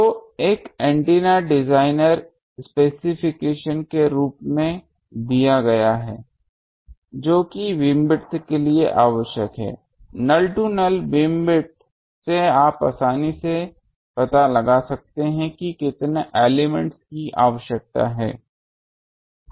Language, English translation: Hindi, So, as an antenna designer specification given what is the beamwidth required, null to null beamwidth you can easily find out how many elements are required